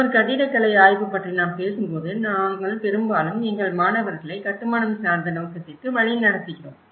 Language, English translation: Tamil, When we talk about an architecture study, we mostly orient our students into the building orientation